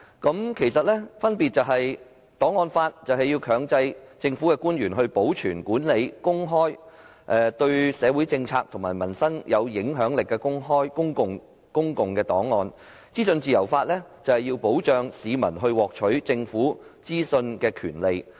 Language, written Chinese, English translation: Cantonese, 兩者的分別在於檔案法強制政府官員保存、管理及公開對社會政策及民生有影響力的公共檔案，而資訊自由法則保障市民獲取政府資訊的權利。, The differences between the two are that the archives law requires the government officials to keep manage and disclose public records which have an impact on social policies and peoples livelihood while the legislation on freedom of information safeguards the publics rights in obtaining government information